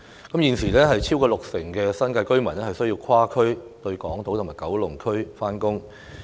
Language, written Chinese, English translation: Cantonese, 代理主席，超過六成新界居民現時需跨區前往港島及九龍上班。, Deputy President over 60 % of the New Territories residents need to travel across districts to go to Hong Kong Island and Kowloon for work at present